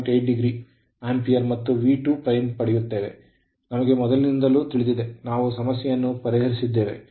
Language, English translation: Kannada, 8 degree ampere right and V 2 dash, we know this earlier we have solved an problem